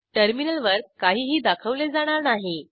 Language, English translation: Marathi, Nothing will be displayed on the terminal